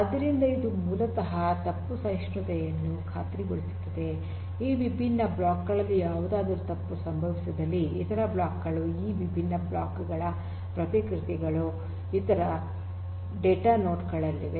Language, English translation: Kannada, So, this basically ensures fault tolerant; if something goes wrong with one of these different blocks the other blocks the replicas of these different blocks are there in the other data nodes